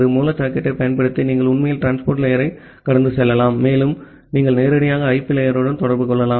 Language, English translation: Tamil, Using the raw socket, you can actually bypass the transport layer and you can directly in turn interact with the IP layer